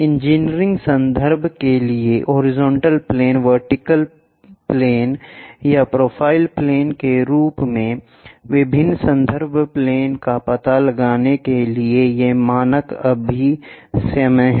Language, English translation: Hindi, These are the standard conventions for engineering drawing to locate different reference planes as horizontal plane, vertical plane side or profile planes